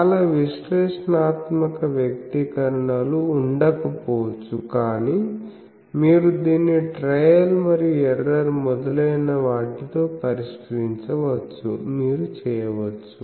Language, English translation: Telugu, There are may not many analytic expression; but you can solve it with trial and error etc